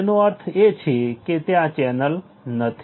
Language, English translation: Gujarati, It means a channel is not there